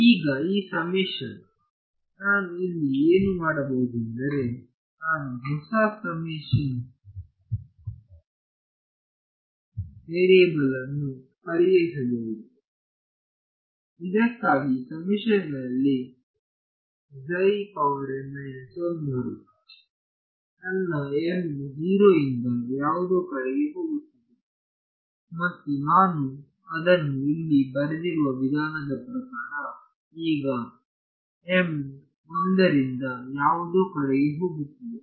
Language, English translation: Kannada, Now, in this summation, what I can do is I can introduce a new summation variable instead of, see this in the summation for psi m minus 1, my m is going from 0 to something and the way that I have written it over here now m is going from 1 to something